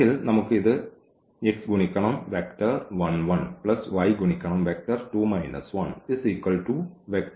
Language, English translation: Malayalam, So, x and multiplied by 1 and minus 1 and y will be multiplied by minus 1 and this 1 the right hand side vector is 1 and 2